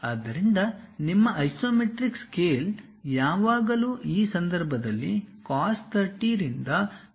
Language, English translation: Kannada, So, your isometric scale always be cos 45 by cos 30 in this case